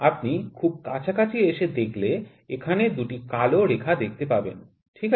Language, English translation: Bengali, You can see closely that there 2 black lines, ok